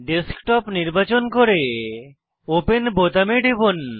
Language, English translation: Bengali, Select Desktop and click on Open button